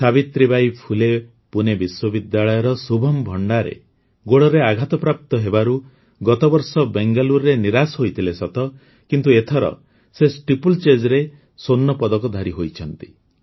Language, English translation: Odia, Shubham Bhandare of Savitribai Phule Pune University, who had suffered a disappointment in Bangalore last year due to an ankle injury, has become a Gold Medalist in Steeplechase this time